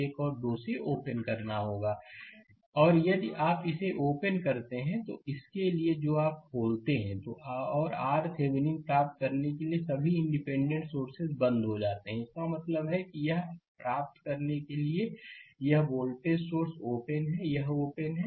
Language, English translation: Hindi, And if you open this one, for this one you open and for getting your R Thevenin, all the independent sources are turned off right; that means, here this voltage source to get this is open, this is open, right